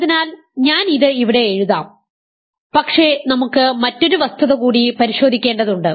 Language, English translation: Malayalam, So, I will write this here, but there is one additional fact to be verified